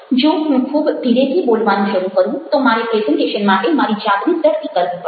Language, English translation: Gujarati, if i starts speaking very, very slowly, i need to pace, pace myself